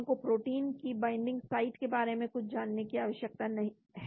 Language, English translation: Hindi, We need to know something about the binding site of the protein